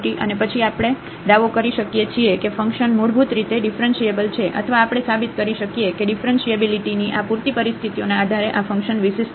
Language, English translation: Gujarati, And, then we can claim that the function is basically differentiable or we can prove that this function is differentiable based on these sufficient conditions of differentiability